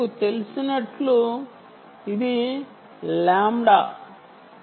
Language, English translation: Telugu, um, as you know, this is lambda